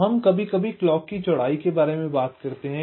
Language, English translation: Hindi, so we sometimes talk about the clock width